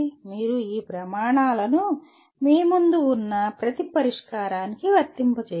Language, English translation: Telugu, You have to apply these criteria to the each one of the solutions that you have in front